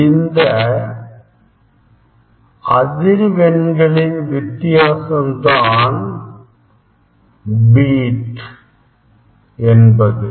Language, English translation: Tamil, difference of this frequency is called the beat